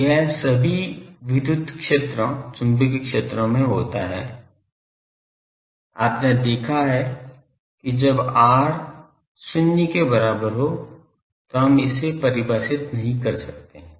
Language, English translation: Hindi, So, this happens in all the electric fields, magnetic fields you have seen these that at r is equal to 0 we cannot define it